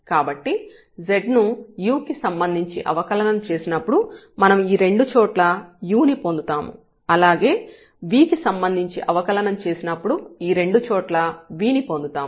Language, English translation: Telugu, So, what is important if you are differentiating here with respect to u then this u will appear both the places and if we are differentiating with respect to v here